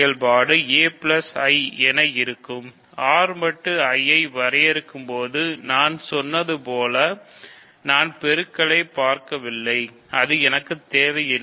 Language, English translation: Tamil, So, as I told you when I define R mod I do not look at multiplication, I do not need or I do not refer to multiplication of I